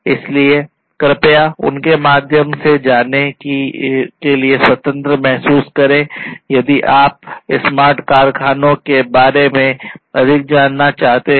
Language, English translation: Hindi, So, please feel free to go through them, if you are interested to know more about the smart factories